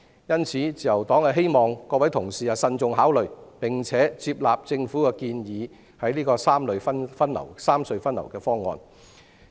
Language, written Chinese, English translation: Cantonese, 因此，自由黨希望各位同事慎重考慮，並且接納政府建議的三隧分流的方案。, Therefore the Liberal Party hopes that Members can carefully consider and accept the Governments proposal for rationalizing the traffic distribution among the three tunnels